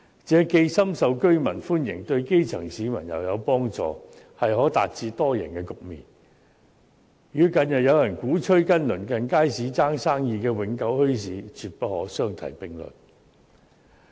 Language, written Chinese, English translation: Cantonese, 這既深受居民歡迎，對基層市民又有幫助，可達致多贏的局面，與近日有人鼓吹與鄰近街市爭生意的永久墟市，絕不可相提並論。, Warmly welcomed by the residents and helpful to the grass roots this can achieve an all - win situation . The recent advocacy of setting up permanent bazaars to compete for business with nearby markets cannot be mentioned in the same breath at all